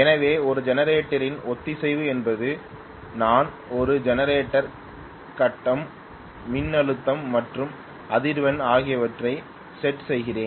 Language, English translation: Tamil, So synchronization of a generator means that I am connecting a generator to the grid and the grid voltage and frequency or set and stoned